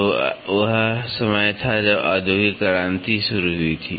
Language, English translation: Hindi, So, that was that time when industrial revolution started